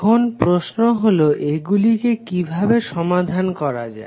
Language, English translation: Bengali, Now, the question is that how to solve it